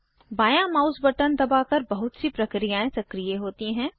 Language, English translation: Hindi, Pressing the left mouse button, activates most actions